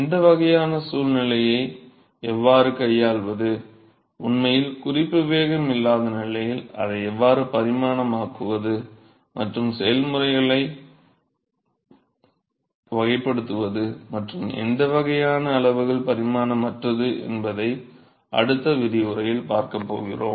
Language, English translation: Tamil, So, we are going to see now in the next lecture as to how to handle this kind of a situation, where there is really no reference velocity, still how to non dimensionalise it and to characterize the processes and what kind of non dimensional quantities that we will get